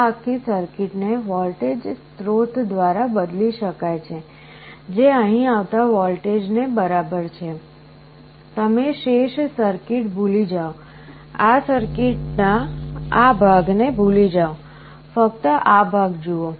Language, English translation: Gujarati, This whole circuit can be replaced by a voltage source which is equal to the voltage that is coming here; you forget the remainder of the circuit, forget this part of the circuit only this part